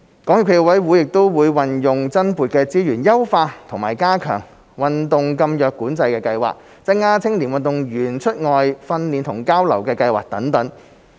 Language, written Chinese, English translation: Cantonese, 港協暨奧委會也會運用增撥的資源優化及加強運動禁藥管制計劃、增加青年運動員出外訓練和交流的計劃等。, SFOC will also use the additional resources to optimize and enhance the anti - doping programme and provide more overseas training and exchange programmes for young athletes outside Hong Kong